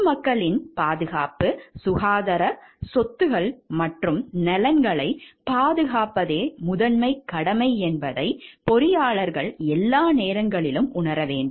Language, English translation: Tamil, Engineers shall at all times recognize that the primary obligation is to protect the safety, health, property and welfare of the public; safety, health, property and welfare of the public